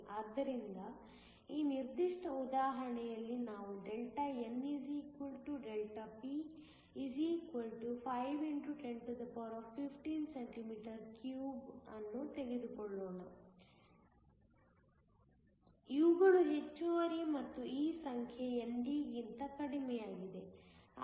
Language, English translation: Kannada, So, in this particular example let us take Δn = Δp = 5 x 1015 cm3 so, these are the excess and this number is less than ND